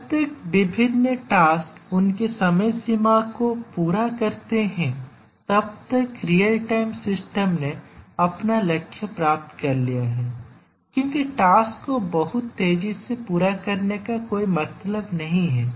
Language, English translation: Hindi, As long as the different tasks meet their deadlines the real time system would have achieved its goal, there is no point in completing the tasks very fast that is not the objective